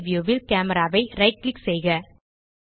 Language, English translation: Tamil, Right click Camera in the 3D view